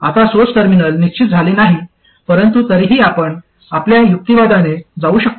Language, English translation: Marathi, Now the source terminal is not exactly fixed but still we can go through our chain of reasoning